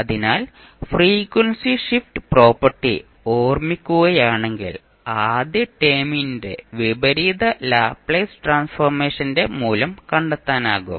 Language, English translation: Malayalam, So, if you recollect the frequency shift property, you can simply find out the value of inverse Laplace transform of first term